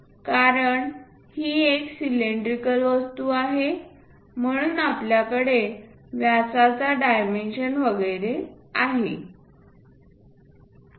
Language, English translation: Marathi, Because it is a cylindrical object that is a reason diameters and so on